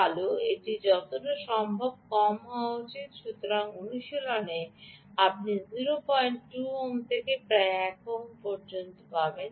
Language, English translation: Bengali, well, it should be as low as possible, but in practice you will get point two ohms to about one ohm